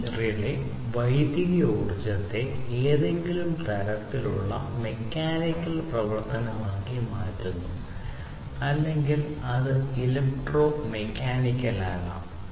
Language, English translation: Malayalam, So, this relay what it does is it transforms the electrical energy into some kind of mechanical action, so or it could be electromechanical as well